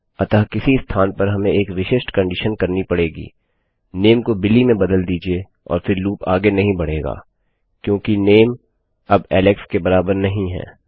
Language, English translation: Hindi, So somewhere we need to say on a specific condition change the name to Billy and then the loop wont continue any more because the name is not equal to Alex